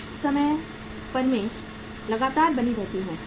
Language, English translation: Hindi, Sometime firms remain consistent